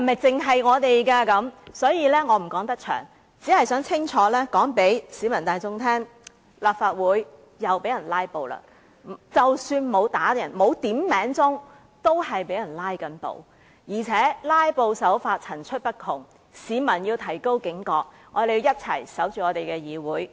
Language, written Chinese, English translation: Cantonese, 因此，我不能長篇大論，只想清楚告訴市民大眾，立法會又被人"拉布"了，即使沒有要求響鐘點算人數，也是正在被人"拉布"，而且"拉布"手法層出不窮，市民要提高警覺，讓我們一起守護我們的議會。, So instead of delivering a lengthy speech I only wish to tell the public loud and clear that the Legislative Council has become the target of filibustering again even though no requests for headcount have been made . The public should remain vigilant of the myriad tactics of filibustering and safeguard our legislature together with us